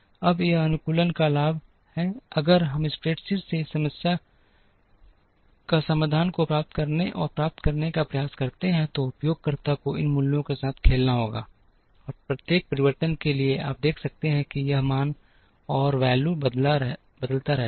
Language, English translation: Hindi, Now, this is the advantage of optimization, if we try to and get this solution from the spreadsheet, the user has to play around with these values, and for every change you can see that this value keeps changing